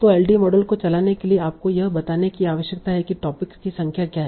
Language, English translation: Hindi, So running the LDA model, you need to tell what is the number of topics